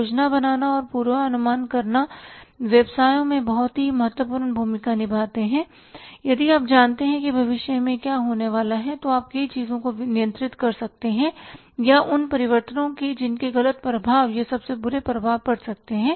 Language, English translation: Hindi, Planning and forecasting plays a very very important role in the businesses if you know what is going to happen in future then you can control many of the things or the maybe the wrong effects or the worst effects of the those changes going to take place